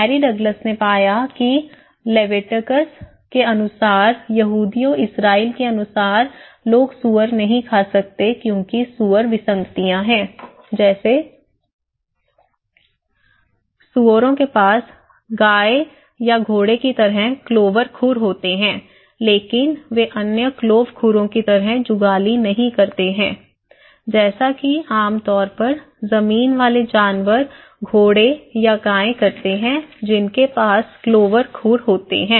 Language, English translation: Hindi, Mary Douglas found that according to the Leviticus, according to the Jews Israeli, people cannot eat pigs because pig is; pigs are anomalies, like pigs have cloven hooves like cow or horse but they do not chew the cud like other cloven hooves as land animals generally do like horse or cow they have cloven hooves and they do chew cud